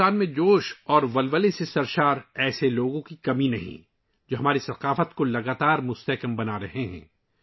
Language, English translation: Urdu, There is no dearth of such people full of zeal and enthusiasm in India, who are continuously enriching our culture